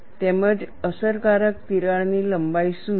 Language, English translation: Gujarati, And what is the effective crack length